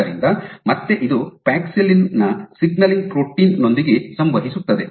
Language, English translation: Kannada, So, again it interacts with the signaling protein of paxillin